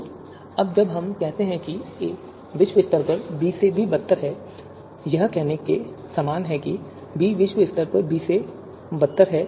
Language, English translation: Hindi, So now when we say a is globally worse than b, it is similar to saying that b is globally better than b